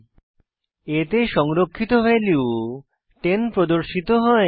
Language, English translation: Bengali, Value 10 stored in variable a is displayed